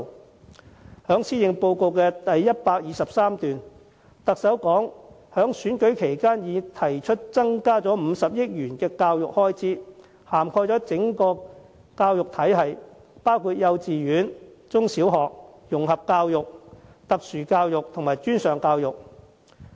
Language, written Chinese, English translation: Cantonese, 特首在施政報告第123段指出，她在參選期間已提出增撥50億元教育開支，涵蓋整個教育體系，包括幼稚園、中小學、融合教育、特殊教育和專上教育。, In paragraph 123 of the Policy Address the Chief Executive mentions that the increase in recurrent education expenditure of 5 billion as proposed in her Election Manifesto covers the whole spectrum of the education system from kindergartens primary and secondary schools integrated education special education to post - secondary education